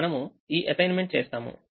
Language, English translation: Telugu, so we make this assignment